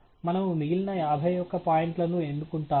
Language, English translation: Telugu, We will just choose the remaining fifty one points